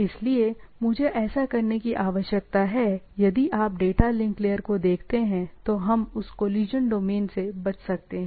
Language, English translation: Hindi, So, I need to so, if you look at a data link layer, so we could have avoided that collision domain